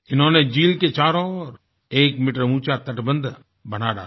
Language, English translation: Hindi, They built a one meter high embankment along all the four sides of the lake